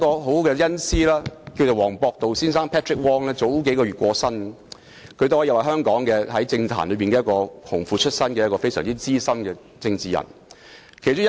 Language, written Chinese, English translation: Cantonese, 我的恩師黃博度先生在數月前過身，他可說是香港政壇"紅褲子"出身的資深政治人物。, My mentor Mr Patrick WONG passed away a few months ago . He could be described as a veteran politician in Hong Kong who worked his way up from a junior position